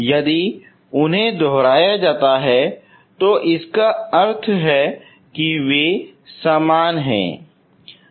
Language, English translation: Hindi, If they are repeated that means they are same